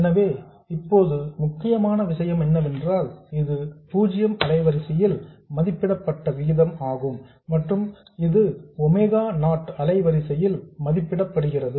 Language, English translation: Tamil, So, now the important thing is that this is a ratio but this is evaluated at zero frequency and this is evaluated at a frequency of omega not